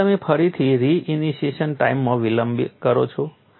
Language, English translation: Gujarati, So, you delay the re initiation time